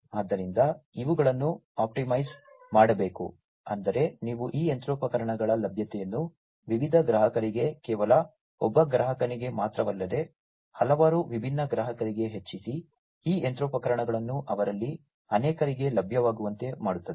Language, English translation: Kannada, So, these have to be optimized, that means, that you increase the availability of these machinery to different customers not just one customer, but many different customers, making these machineries available to many of them